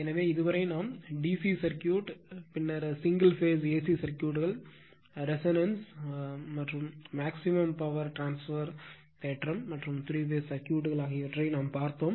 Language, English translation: Tamil, So, far we have studied DC circuit, then single phase AC circuits along with you your what you call that regulance as well as your maximum power transfer theory you have seen, and also the three phase circuits